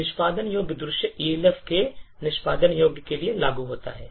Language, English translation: Hindi, So, the executable view is applicable for Elf executables